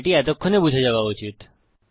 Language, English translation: Bengali, That should be pretty clear by now